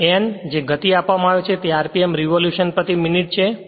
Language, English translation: Gujarati, And N that speed is given is rpm revolution per minute